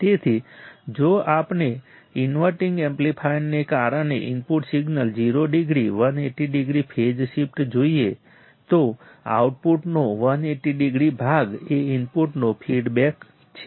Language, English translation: Gujarati, So, if we see input signal 0 degree, 180 degree phase shift because inverting amplifier, so 180 degree part of output is feedback to the input